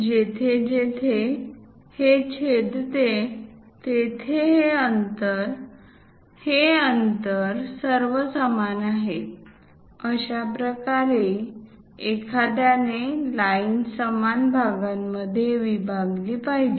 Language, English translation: Marathi, So that wherever it is intersecting; this distance, this distance, this distance all are equal; this is the way one has to divide the line into equal parts